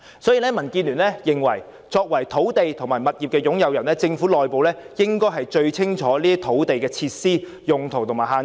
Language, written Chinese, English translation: Cantonese, 所以，民建聯認為，作為土地及物業擁有人，政府內部應該最清楚這些土地的設施、用途及限制。, Therefore DAB is of the opinion that as the Government is the owner of the lands and properties concerned knowledge about uses and limitations of these lands and facilities on them are best to be obtained from within the Government